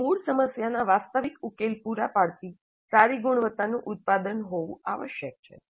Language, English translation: Gujarati, It must be a product of good quality providing realistic solution to the original problem